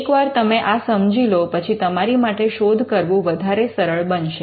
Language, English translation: Gujarati, Once you understand this, it is easier for you to do the search